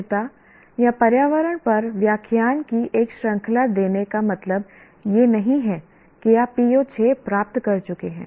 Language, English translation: Hindi, Merely giving a series of lectures on sustainability or environment do not automatically mean that you have attained PO6